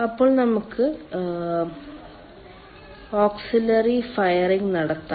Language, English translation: Malayalam, then we can have auxiliary firing